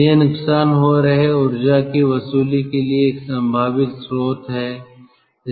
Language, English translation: Hindi, so this, this is a potential source for recovering energy, for recovering wasted